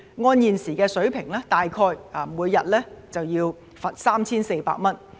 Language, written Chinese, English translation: Cantonese, 按現時的水平，每天要罰大約 3,400 元。, Based on the existing level the fine shall be roughly 3,400 per day